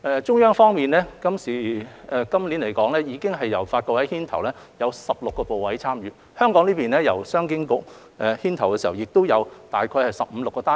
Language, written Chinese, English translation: Cantonese, 中央方面，去年由發改委牽頭，有16個部委參與；而香港方面，由商經局牽頭，亦有15至16個單位。, On the side of the Central Government last years joint conference was led by NDRC and participated by 16 Mainland Authorities while on Hong Kongs side CEDB took the lead with 15 to 16 units participating